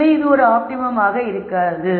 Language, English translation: Tamil, So, this cannot be an optimum either